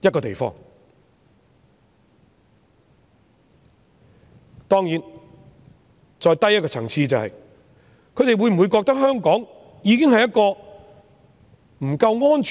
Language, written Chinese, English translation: Cantonese, 當然，再低一個層次，是他們會否認為香港不夠安全？, Certainly at a lower level will they consider Hong Kong not safe enough?